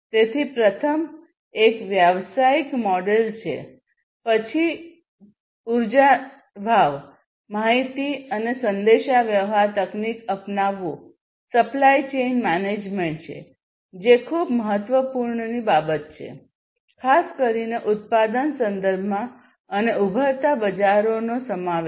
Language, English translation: Gujarati, So, the first one is the business models, the next one is the energy price, information and communication technology adoption, supply chain management, which is a very very important thing, particularly in the manufacturing context, and the inclusion of emerging markets